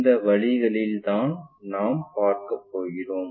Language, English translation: Tamil, These are the directions what we will see